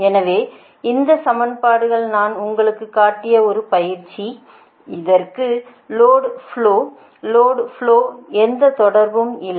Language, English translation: Tamil, so these equation, whatever i have showed you, this is an exercise for you, nothing to related load flow